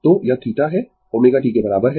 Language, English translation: Hindi, So, this is theta is equal to omega t